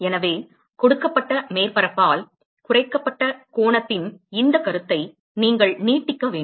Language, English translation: Tamil, So you need to extend this concept of the angle subtended by a given surface